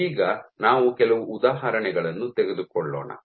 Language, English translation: Kannada, Now, let us take a few examples